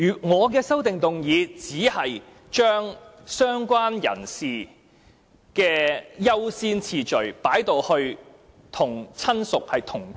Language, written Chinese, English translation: Cantonese, 我的修正案只是把"相關人士"的優先次序改為與"親屬"同級。, My amendment simply seeks to revise the order of priority for related person to bring it on par with relative